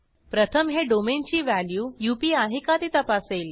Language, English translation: Marathi, First it checks whether the value of domain is UP